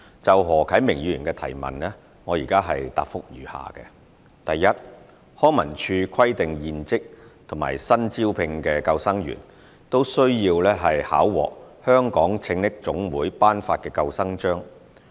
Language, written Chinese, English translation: Cantonese, 就何啟明議員的質詢，我現答覆如下：一康文署規定現職及新招聘的救生員均需考獲香港拯溺總會頒發的救生章。, My reply to Mr HO Kai - mings question is as follows 1 LCSD requires that all serving and newly recruited lifeguards possess the Lifeguard Award issued by the Hong Kong Life Saving Society HKLSS